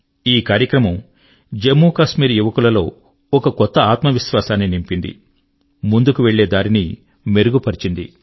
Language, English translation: Telugu, This program has given a new found confidence to the youth in Jammu and Kashmir, and shown them a way to forge ahead